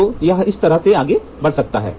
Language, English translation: Hindi, So, here it can move up this way that way